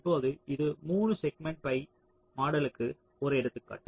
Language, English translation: Tamil, ok, now this is an example where three segment pi model is shown